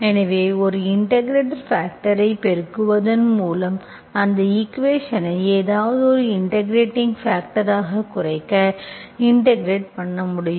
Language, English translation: Tamil, So by multiplying an integrating factor, you reduce that equation into some derivative of something so that you can integrate